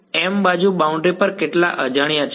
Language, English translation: Gujarati, m edges on the boundary how many unknowns are there